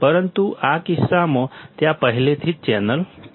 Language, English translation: Gujarati, In this case but, there is already channel